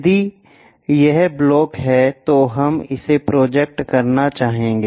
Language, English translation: Hindi, If this block, we will like to project it